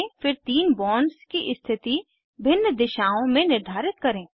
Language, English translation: Hindi, Then orient the three bonds in different directions